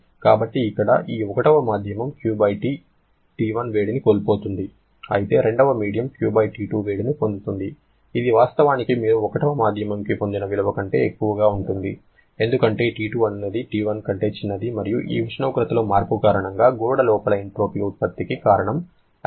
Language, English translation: Telugu, So, here this medium 1 is losing Q/T1 amount of heat but medium 2 is gaining Q/T2 amount of heat, which actually will be higher than what value you got for 1 because T2 is smaller than T1 and the reason is this entropy generation inside the wall because of the change in temperature and what about exergy